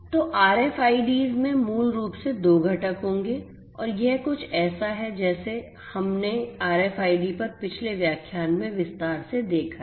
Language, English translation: Hindi, So, RFIDs basically will have two components and this is something that we have looked at in a previous lecture on RFIDs in detail